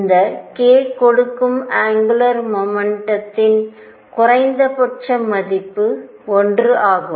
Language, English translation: Tamil, Since this k gave the angular momentum the minimum value was 1